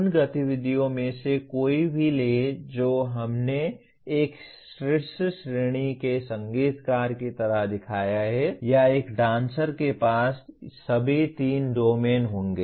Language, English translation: Hindi, Take any of those activities that we have shown like a top class musician or a dancer will have all the three domains